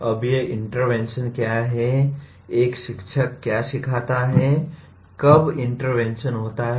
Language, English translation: Hindi, Now what are these interventions, what does a teacher does the teaching, what do the interventions take place